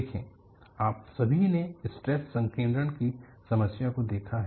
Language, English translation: Hindi, See, you all have looked at problem of stress concentration